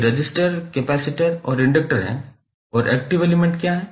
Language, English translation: Hindi, These are resistors, capacitors and inductors and what are the active elements